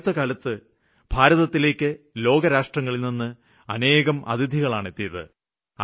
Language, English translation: Malayalam, These days many guests from foreign countries have arrived in India